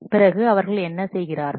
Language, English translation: Tamil, Then what they do